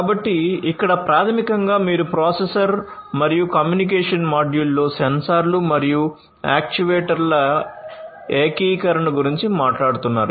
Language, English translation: Telugu, So, here basically you are talking about integration of sensors and actuators, with a processor and a communication module